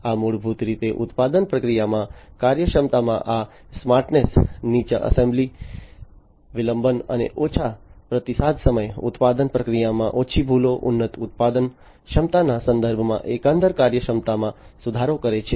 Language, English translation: Gujarati, So, these basically this smartness in the efficiency in the manufacturing process, improves the overall efficiency in terms of lower assembly delay and lowered response time, reduced errors in the manufacturing process, enhanced production capability, and so on